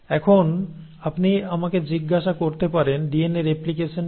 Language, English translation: Bengali, Now, you may ask me what is DNA replication